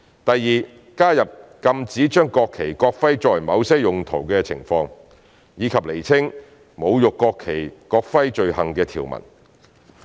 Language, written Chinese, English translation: Cantonese, 第二，加入禁止將國旗、國徽作某些用途的情況，以及釐清侮辱國旗及國徽罪行的條文。, Second adding the prohibitions on certain uses of the national flag and the national emblem and clarifying the provisions relating to offences of desecrating behaviour in relation to the national flag and national emblem